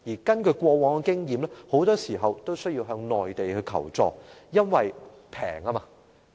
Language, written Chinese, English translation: Cantonese, 根據過往經驗，香港經常須向內地求助，因為內地成本較低。, According to past experience Hong Kong often needs to seek assistance from the Mainland because of its lower cost